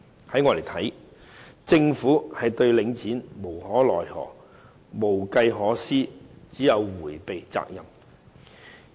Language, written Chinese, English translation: Cantonese, 在我看來，政府對領展無可奈何，無計可施，只有迴避責任。, In my view the Government is at its wits end not knowing what to do with Link REIT and so it can only evade its responsibility